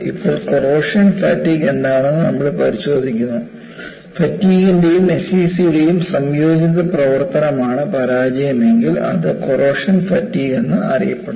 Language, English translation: Malayalam, And now, we look up what is corrosion fatigue, if failure is due to combined action of fatigue and SCC, then it is corrosion fatigue